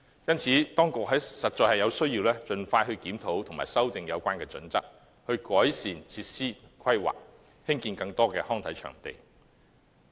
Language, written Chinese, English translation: Cantonese, 因此，當局必須盡快檢討及修訂《規劃標準》，改善設施規劃，興建更多康體場地。, This arrangement is far from desirable . Hence the authorities must expeditiously review and amend HKPSG to improve facilities planning and build more recreational and sports venues